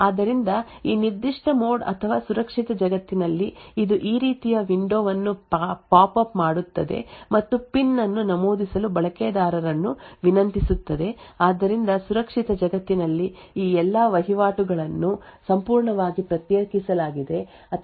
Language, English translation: Kannada, So in this particular mode or the secure world it would pop up a window like this and request the user to enter a PIN so all of this transactions in the secure world is completely isolated or completely done securely and not accessible from any of the applications present in the normal world